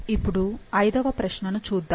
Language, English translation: Telugu, Now, let's look into the fifth question